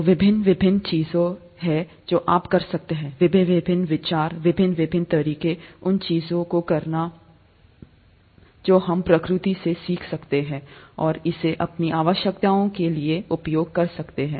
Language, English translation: Hindi, So there are various different things that you can, various different ideas, various different ways of doing things that we can learn from nature and use it for our own needs